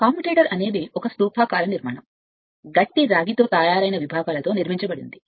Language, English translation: Telugu, A commutator is a cylindrical structure built up of segments made up of hard drawn copper